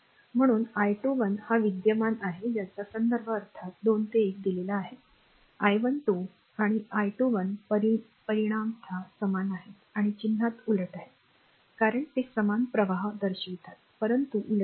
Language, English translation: Marathi, Therefore, your I 21 is the current to the with it is reference directed from 2 to 1 of course, I 12 and I 21 are the same in magnitude and opposite in sign so, because they denote the same current, but with opposite direction